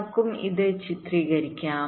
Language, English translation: Malayalam, lets also illustrate this